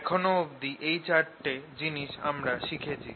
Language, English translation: Bengali, we have learnt these four things